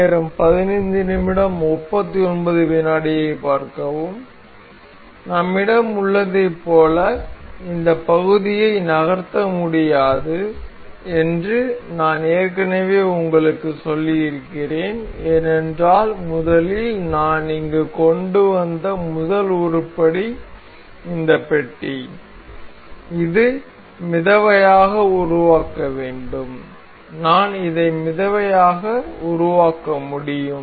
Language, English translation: Tamil, As we have, as I have already told you this part cannot be moved because on the first, the first item that I brought here was this block and this is fixed to make this float I can make this float